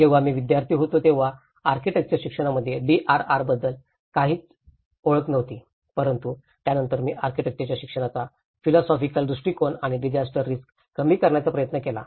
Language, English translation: Marathi, When I was a student there was not familiarity about the DRR in the architectural education but then this is where I also tried to bring the philosophical perspectives of architectural education and the disaster risk reduction